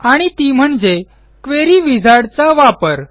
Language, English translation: Marathi, And that is by using a Query Wizard